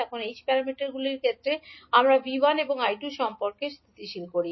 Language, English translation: Bengali, Now in case of h parameters we stabilize the relationship between V1 and I2